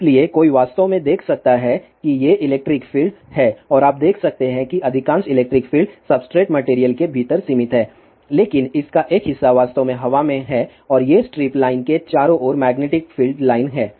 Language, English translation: Hindi, So, one can actually see that these are the electric fields and you can see most of the electric fields are confined within the substrate material , but part of that is actually in the air and these are the magnetic field lines around the strip line over here